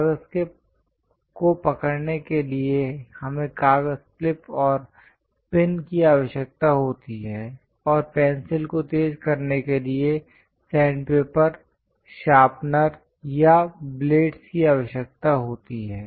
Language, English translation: Hindi, To hold the paper, we require paper clips and pins; and to sharpen the pencil, sandpaper, sharpener, or blades are required